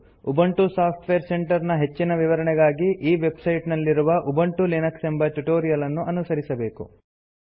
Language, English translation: Kannada, For more information on Ubuntu Software Centre, please refer to the Ubuntu Linux Tutorials on this website